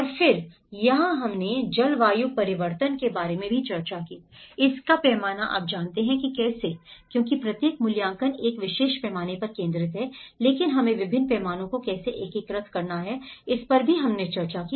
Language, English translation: Hindi, And then here we also discussed about the climate change, the scale of it you know how one because each assessment is focused on a particular scale but how we have to integrate different scales is also we did discussed